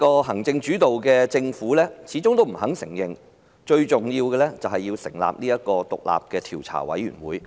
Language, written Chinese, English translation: Cantonese, 行政主導的政府始終不承認最重要的事情，就是要成立獨立調查委員會。, The executive - led Government has remained reluctant to admit that the most important thing is the setting up of an independent investigation committee